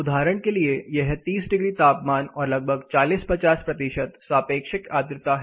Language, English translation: Hindi, For instance it is up to 30 degrees temperature and the relative humidity of around 40 percent and or 50 percent relative humanity